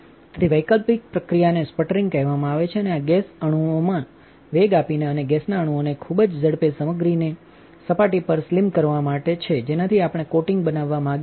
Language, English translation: Gujarati, So, an alternative process is called sputtering and this works by accelerating gas molecules and slamming the gas molecules at very high speed into the surface of the material with which we want to make the coating